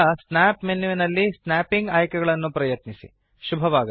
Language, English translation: Kannada, After that, explore the snapping options in the snap menu